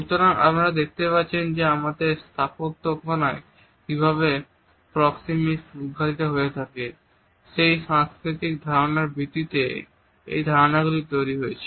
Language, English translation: Bengali, So, you would find that these understandings are developed on the basis of our cultural understanding of how proxemics is to be unfolded in our architectural designs